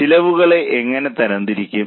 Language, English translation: Malayalam, How do you classify the cost